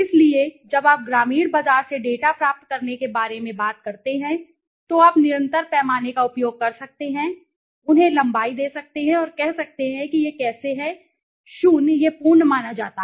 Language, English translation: Hindi, So, in when you talk about getting data from rural market you can use a continuous scale right, give them length and say how this is 0 this is suppose the full